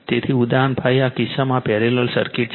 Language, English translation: Gujarati, So, example 5 in this case this parallel circuit is there